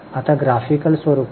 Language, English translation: Marathi, Now here in the graphical form